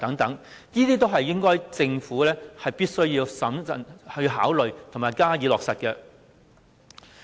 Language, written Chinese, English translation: Cantonese, 這些都是政府必須審慎考慮並加以落實的。, This is what the Government must carefully consider and do